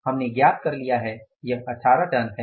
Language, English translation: Hindi, We have found out is the 18 tons